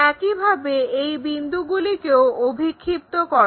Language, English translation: Bengali, So, project these points